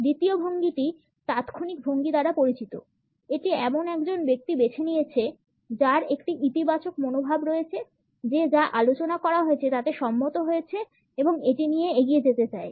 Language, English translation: Bengali, The second posture is known as instant by posture; it is taken up by a person who has a positive attitude, has agreed to whatever is being discussed and wants to move on with it